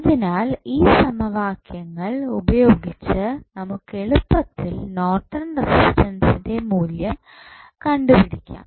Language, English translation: Malayalam, So, using these equations, you can easily find out the value of Norton's resistance